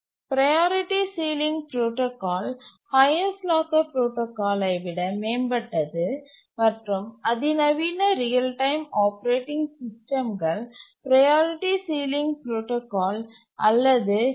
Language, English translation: Tamil, Now let's look at the priority sealing protocol which is a improvement over the highest locker protocol and most of the sophisticated real time operating systems use the priority ceiling protocol or PCP